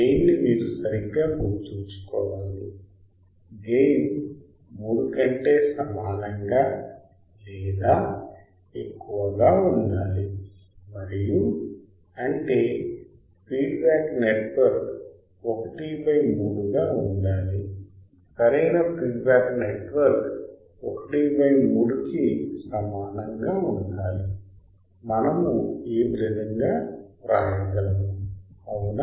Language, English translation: Telugu, My gain should be you remember right the gain should be greater than equal to 3 and my beta that is feedback network should be 1 by 3 right feedback network should be greater than equal to 1 by 3; we can write like that right